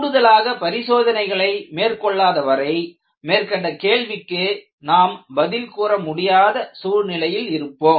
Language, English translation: Tamil, Unless you conduct additional tests, you will not be in a position to answer the questions that we have raised